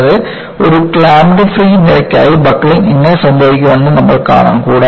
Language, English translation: Malayalam, And, we will see for a clamped free type of column, how the buckling occurs